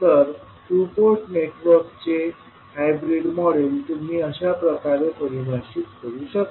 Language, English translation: Marathi, So, hybrid model of a two Port network you can define like this